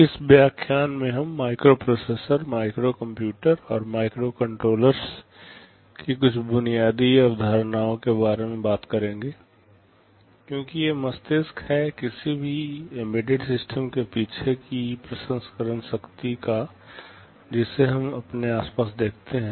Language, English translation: Hindi, In this lecture we shall be talking about some basic concepts of microprocessors, microcomputers and microcontrollers, because these are the brain or the processing power behind any embedded system that we see around us